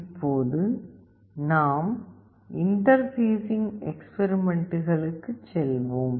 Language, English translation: Tamil, Now we will be going to the interfacing experiments